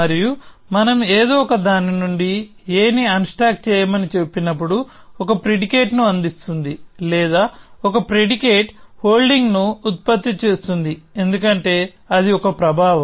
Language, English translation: Telugu, And we say that unstack a from something is providing a predicate or producing a predicate holding a because that is a effect